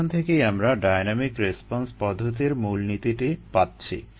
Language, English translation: Bengali, ok, this gives us the basis for the dynamic response method